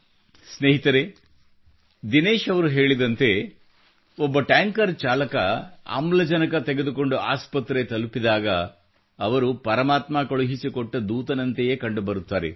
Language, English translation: Kannada, Friends, truly, as Dinesh ji was mentioning, when a tanker driver reaches a hospital with oxygen, he comes across as a godsent messenger